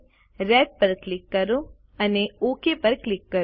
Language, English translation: Gujarati, Lets click Red and click OK